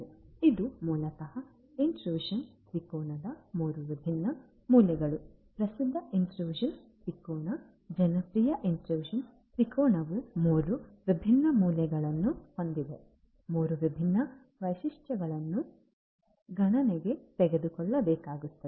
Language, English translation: Kannada, So, this is basically the three different corners of the intrusion triangle the famous intrusion triangle the popular intrusion triangle has three different corners, three different you know features that will have to be taken into account